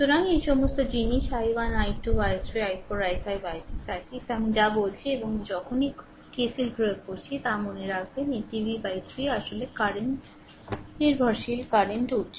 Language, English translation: Bengali, So, all these things ah i 1 i 2 i 3 i 4 i 5 i 6 all I have told and now apply your KCL remember, this v by 3 actually current dependent current source